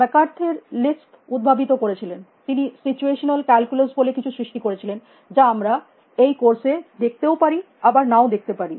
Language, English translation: Bengali, McCarthy inventor lisp he invented something called situational calculus, which we will may or may not see in this course